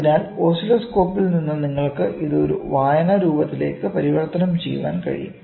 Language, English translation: Malayalam, So, from the oscilloscope, you can convert it into a reading form